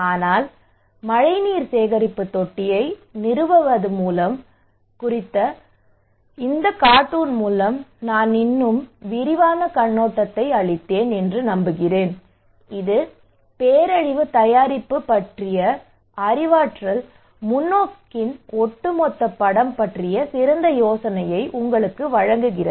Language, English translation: Tamil, But I hope I gave a more comprehensive overview through this cartoon on installing rainwater harvesting tank and that gives you much better idea about the overall picture of cognitive perspective of disaster preparedness